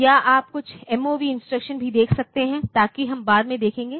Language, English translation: Hindi, Or you can even there are some MOV instructions so that we will see later